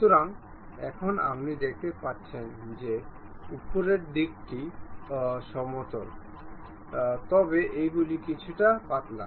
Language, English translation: Bengali, So, now you can see the top side is flat one, but these ones are slightly tapered